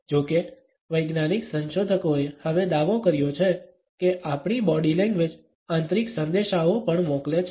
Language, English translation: Gujarati, However, scientific researchers have now claimed that our body language also sends internal messages